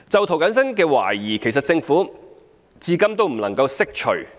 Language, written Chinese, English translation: Cantonese, 涂謹申議員的疑慮，政府至今未能釋除。, The Government has so far failed to dispel Mr James TOs doubts